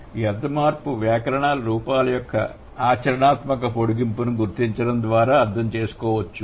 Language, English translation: Telugu, And this semantic change can be understood by identifying the pragmatic extension of the grammatical forms, right